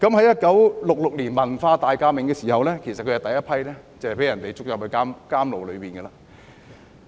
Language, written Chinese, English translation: Cantonese, 1966年文化大革命時，他是第一批被抓進監牢的。, In the Cultural Revolution which broke out in 1966 he was among the first group of people being put to jail